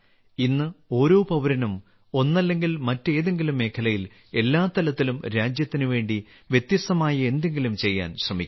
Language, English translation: Malayalam, Today every countryman is trying to do something different for the country in one field or the other, at every level